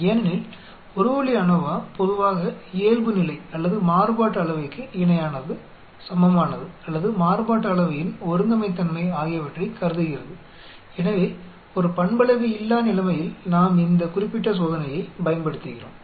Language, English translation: Tamil, Because One way ANOVA generally assumes normality or equivalent equality of variance or homogeneity of variance, so in a nonparametric situation we use this particular test